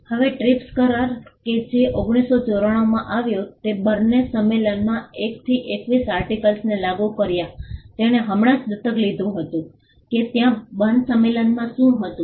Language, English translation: Gujarati, Now, the TRIPS agreement which came in 1994 implemented articles 1 to 21 of the Berne convention; it just adopted what was there in the Berne convention